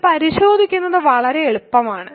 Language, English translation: Malayalam, This is very easy to check